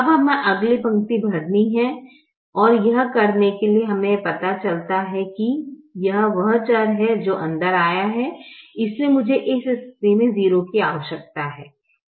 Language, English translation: Hindi, now we have to fill the next row and to do that we realize this is the variable that has come in